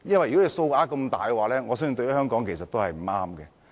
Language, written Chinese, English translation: Cantonese, 超支數額這麼大，我相信對香港是不利的。, The cost overruns involve huge sums of money and I believe that is not good for Hong Kong